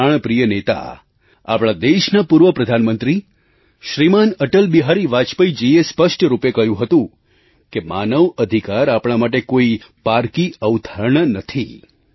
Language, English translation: Gujarati, Our most beloved leader, ShriAtalBihari Vajpayee, the former Prime Minister of our country, had clearly said that human rights are not analien concept for us